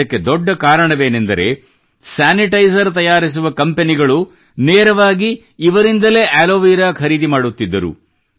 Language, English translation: Kannada, One of the major reasons for this was that the companies making sanitizers were buying Aloe Vera directly from them